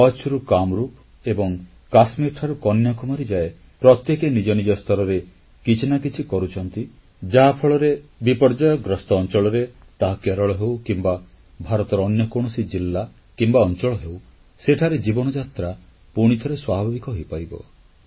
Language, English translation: Odia, From Kutch to Kamrup, from Kashmir to Kanyakumari, everyone is endeavoring to contribute in some way or the other so that wherever a disaster strikes, be it Kerala or any other part of India, human life returns to normalcy